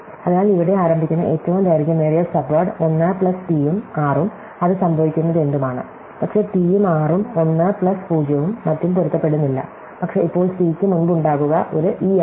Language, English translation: Malayalam, So, I say that the longest common subword starting here is 1 plus whatever happens that t and r, but t and r do not match with 1 plus 0 and so on, but now because this c is now preceded by an e